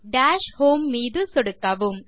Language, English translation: Tamil, Click on Dash Home